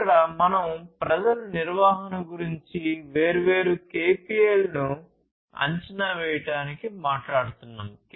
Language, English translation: Telugu, Here basically we are talking about people management use of different KPIs to assess